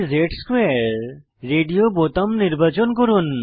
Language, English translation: Bengali, Select dz^2 orbital radio button